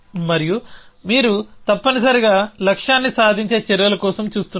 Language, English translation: Telugu, And you are looking for actions which will achieve the goal essentially